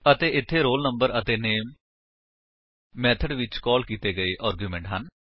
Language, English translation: Punjabi, And here roll number and name are the arguments, passed in the method